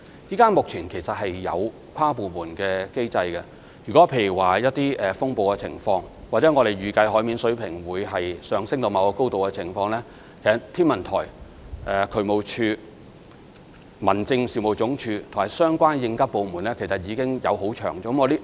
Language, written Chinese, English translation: Cantonese, 目前我們其實已有跨部門的機制，例如在出現風暴或我們預計海面水平上升至某個高度時，其實天文台、渠務署、民政事務總署，以及相關的應急部門已經有互相協調。, At present we actually have in place interdepartmental mechanisms . For example in the event of a storm or when the sea level is expected to rise to a certain height actually there will be co - ordination among HKO DSD the Home Affairs Department and the relevant emergency services departments